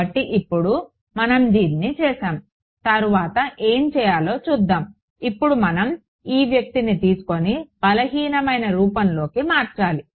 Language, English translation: Telugu, So now, that we have done this let us see what should what is next is now we have to take this guy and substitute into the weak form right